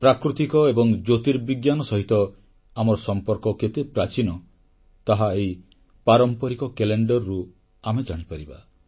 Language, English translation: Odia, This traditional calendar depicts our bonding with natural and astronomical events